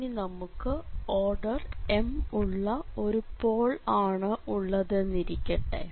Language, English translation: Malayalam, So, this is going to be a pole of order 2